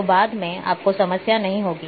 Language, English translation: Hindi, So, then later on you will not have problems